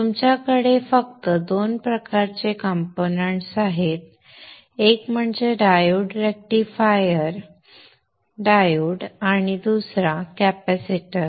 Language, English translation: Marathi, One is the diode, rectifier diode, and the other one is the capacitor